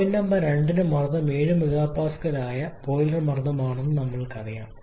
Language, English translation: Malayalam, For point Number 2, we know that the pressure is of the boiler pressure is a 7 mega pascal